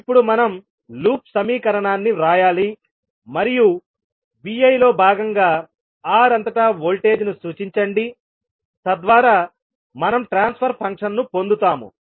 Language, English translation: Telugu, So what we have to do next, now we have to write the loop equation and represent the voltage across R as part of Vi, so that we get the transfer function